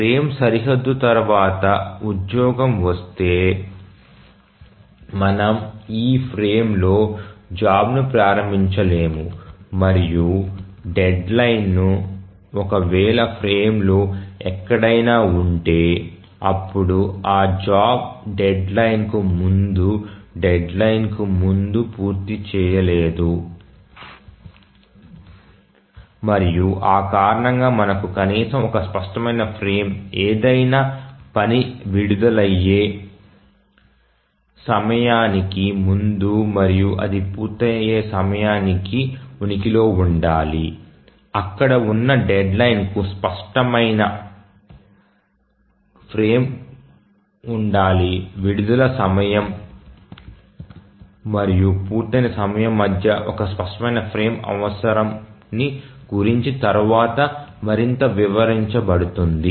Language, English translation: Telugu, So, if the job arrives after the frame boundary, we cannot execute the initiation of the job in this frame and the deadline if it is somewhere here or within this frame then of course that job cannot complete execution before the deadline and that's the reason why we need at least one clear frame to exist between the release of a task of any task before it at the time it is released and that it's time of completion the deadline there must exist a clear frame to explain explain this further, just want to take some examples and with some diagrams I will explain that further that why we need one frame, one clear frame to exist between the release time and the completion time